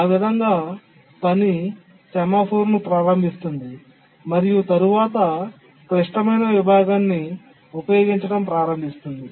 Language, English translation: Telugu, So the task invokes the semaphore and then starts using the critical section